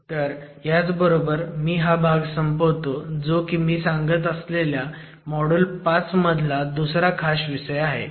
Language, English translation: Marathi, So, with that I conclude this part which is a second special topic that I am addressing within module 5